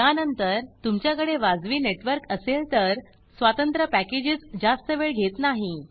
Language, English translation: Marathi, After that if you have reasonable network individual packages should not take too much time